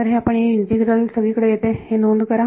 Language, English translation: Marathi, So, notice that this integral appears everywhere its